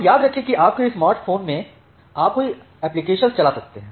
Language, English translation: Hindi, Now, remember that in your smartphone you can run multiple applications